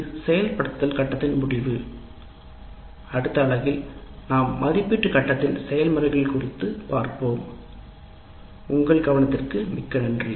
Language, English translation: Tamil, And that is the end of implement phase and in next unit we will look at the evaluate phase, the process of evaluate phase and thank you very much for your attention